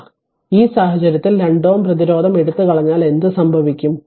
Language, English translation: Malayalam, So, in this case what will happen that 2 ohm resistance is taken off